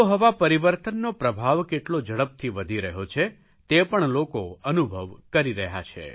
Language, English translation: Gujarati, We are now realizing the effects of climate change very rapidly